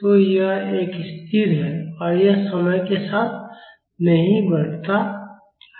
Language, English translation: Hindi, So, this is a constant and this does not increase with time